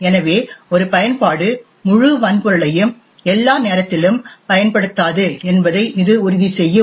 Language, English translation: Tamil, So, it will ensure that one application does not utilise the entire hardware all the time